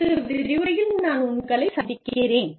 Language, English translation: Tamil, And, i will see you, in the next lecture